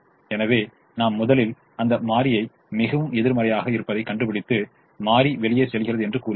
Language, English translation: Tamil, so we first find that variable which is most negative and say that variable goes out